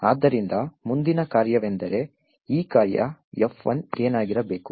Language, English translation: Kannada, So, the next question is what should be this function F1